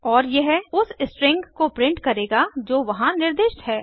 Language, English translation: Hindi, And it will print out the string that is specified there